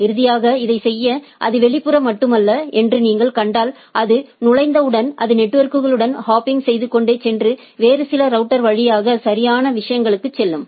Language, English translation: Tamil, Finally, to make this happen, so if you see it is not only external right, it once it enters it go on hopping with the networks and go through some other router to the type of things right